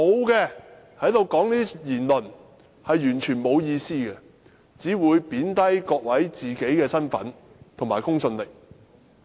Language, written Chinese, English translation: Cantonese, 如果沒有證據，是完全沒有意思的，只會貶低他們的身份和公信力。, If they do not have any evidence what they say is meaningless and will only serve to degrade their personality and undermine their integrity